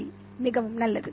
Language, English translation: Tamil, Okay, very good